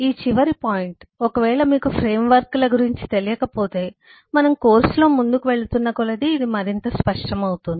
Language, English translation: Telugu, this last point would become: if you are not aware of frameworks, then this will become more clear as we go through the course